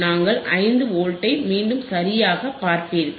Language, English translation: Tamil, You will be to see able to see 5 Volts again alright